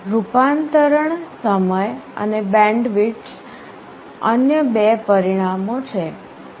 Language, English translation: Gujarati, Conversion time and bandwidth are two other parameters